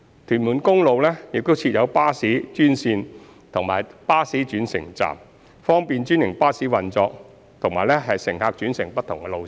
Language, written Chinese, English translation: Cantonese, 屯門公路亦設有巴士專線及巴士轉乘站，方便專營巴士運作及乘客轉乘不同路線。, There are also bus - only lanes and bus - bus interchanges on Tuen Mun Road to facilitate the operation of franchised buses and interchanges between routes